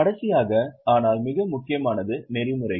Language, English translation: Tamil, And the last but perhaps the most important is ethics